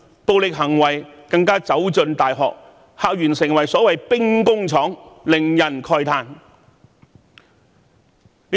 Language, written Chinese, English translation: Cantonese, 暴力行為更走進大學，校園成為所謂的兵工廠，令人慨歎。, Violence has also found its way in universities with university campuses turned into the so - called weapon factories which is really deplorable